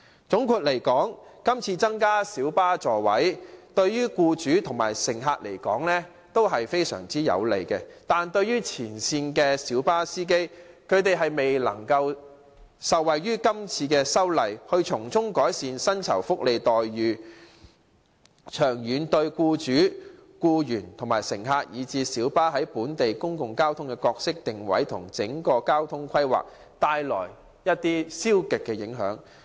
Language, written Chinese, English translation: Cantonese, 總括而言，今次增加小巴座位，對於僱主和乘客來說，都是非常有利，但前線的小巴司機卻未能受惠於今次的修例，令他們的薪酬、福利待遇得以改善，長遠而言，對僱主、僱員、乘客，以致小巴在本地公共交通的角色定位和整體交通規劃均帶來負面影響。, In sum the current increase of the seating capacity of light buses will bring great benefits to employers and passengers; but frontline light bus drivers may not benefit from the current legislative amendment to have better remuneration packages . In the long run this will have negative impacts on employers employees passengers as well as the roles and positioning of light buses in local public transport services and the overall transport planning